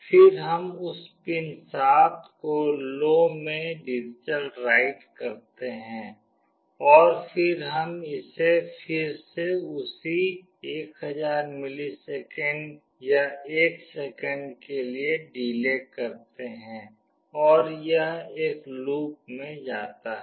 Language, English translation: Hindi, Then we do a digitalWrite to the same pin 7 to low, and then we delay it for again the same 1000 milliseconds or 1 second, and this goes on in a loop